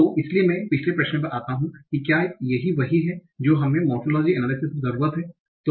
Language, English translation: Hindi, But, so coming to my previous question, is it what we need in the morphological analysis